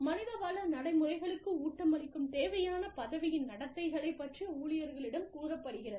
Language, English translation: Tamil, And, the employees are told about, the needed role behaviors, that feed into the human resource practices